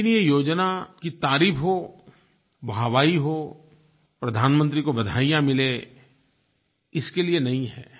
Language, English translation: Hindi, But this is not meant to praise the scheme and the Prime Minister